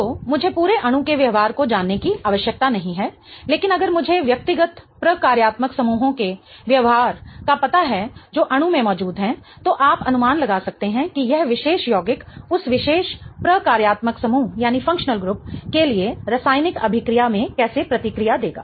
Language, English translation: Hindi, So, I do not need to know the behavior of the entire molecule, but if I know the behavior of the individual functional groups that are present in the molecule, you can estimate how this particular compound will react in a chemical reaction for that particular functional group